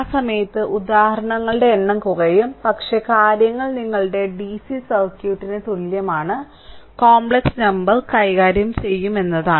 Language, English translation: Malayalam, So, at that time number of example will be reduced, but things are same as your DCs circuit only thing is that there will handle complex number right